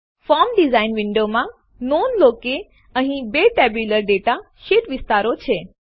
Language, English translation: Gujarati, In the form design window, notice that there are two tabular data sheet areas